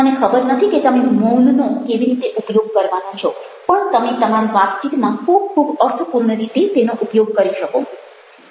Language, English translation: Gujarati, i dont know how you are going to use silence, but that can always used by you a very, very meaningful ways in your conversation